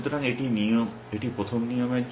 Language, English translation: Bengali, So, that is for the first rule